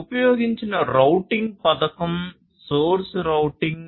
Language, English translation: Telugu, The routing scheme that is used is source routing